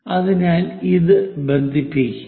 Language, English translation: Malayalam, We have to connect